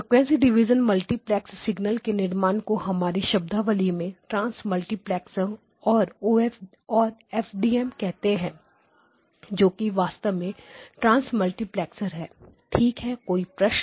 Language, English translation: Hindi, For the frequent of the generation of the frequency division multiplex signal in our terminology it is a trans multiplexer and or FDM actually is a trans multiplexer a in the true definition of the afterword